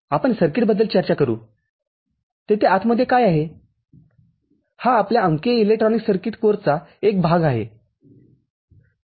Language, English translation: Marathi, We will discuss the circuit what is there inside that is a part of our course, digital electronics circuit